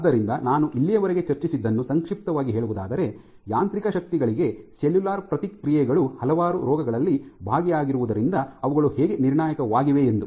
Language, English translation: Kannada, So, to summarize broadly what I have discussed so far you see how cellular responses to mechanical forces are crucial and involved in numerous diseases